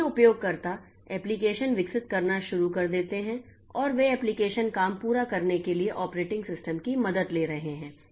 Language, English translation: Hindi, So, users start developing applications and those applications are taking help of the operating system and to get the job done